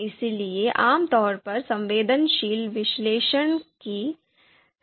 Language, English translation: Hindi, That is why typically sensitivity analysis is recommended